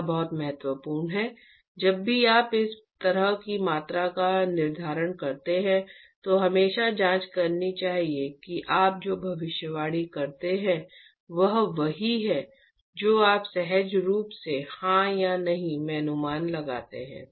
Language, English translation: Hindi, It is very important anytime you do such quantification calculation should always check whether what you predict is exactly what you intuitively guess yes or no why